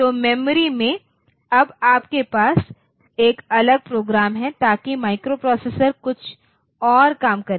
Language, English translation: Hindi, So, in the memory now you have a different program so that the microprocessor will do something else